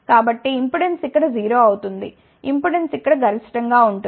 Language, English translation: Telugu, So, impedance will be 0 here, impedance will be maximum